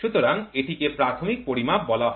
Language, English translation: Bengali, So, that is called as a primary measurement